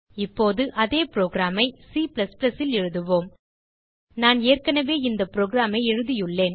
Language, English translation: Tamil, Now Lets write the same program in C++ I have already made the program and will take you through it